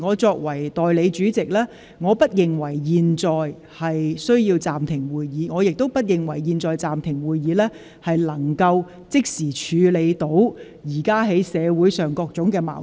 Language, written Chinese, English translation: Cantonese, 作為代理主席，我不認為現在有需要暫停會議，亦不認為現在暫停會議有助即時處理社會上的各種矛盾。, Being the Deputy President I do not think there is a need to suspend the meeting now and I also do not think that suspending the meeting now can help resolving immediately the various conflicts in society